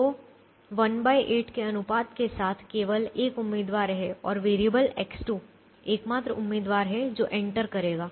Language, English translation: Hindi, so there is only one candidate with the ratio one by eight, and variable x two is the only candidate and that will enter